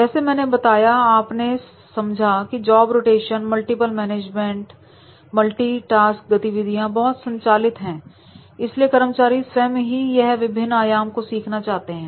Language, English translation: Hindi, Now you see that is as I mentioned that is a job rotation multiple management and then multi task activities and therefore the employees that themselves want to learn the different dimensions